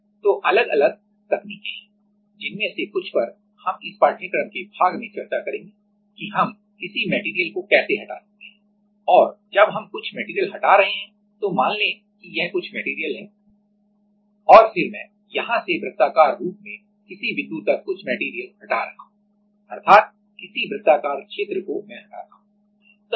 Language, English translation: Hindi, So, there are different techniques which a few of them we will discuss in the part of this course that how we can remove a material and while we are removing some material let us say if this is some material and then I am removing some point some material here from the circular like some circular this kind of region I remove